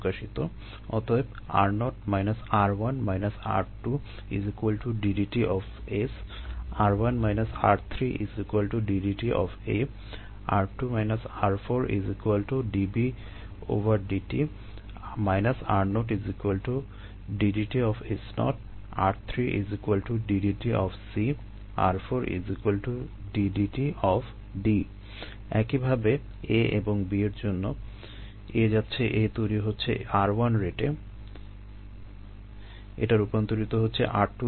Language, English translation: Bengali, similarly for a and b: a going a is formed at the rate of r one